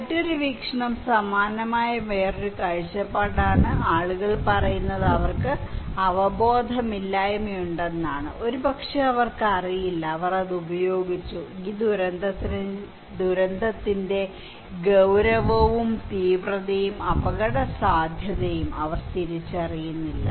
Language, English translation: Malayalam, Another perspective is similar line that is people saying that they have lack of awareness, maybe they do not know, they used to it, they do not realise the seriousness, severity and vulnerability of this disaster